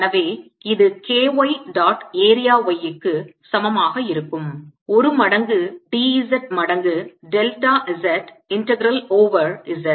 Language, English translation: Tamil, so this is going to be equal to k y dot area y one times d, z times delta z integral over z, it gives me k